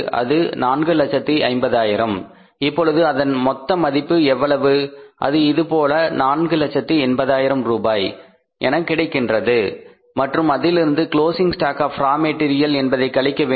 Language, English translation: Tamil, This is something like this and how much it is this works out as 480,000 then it is less closing stock of raw material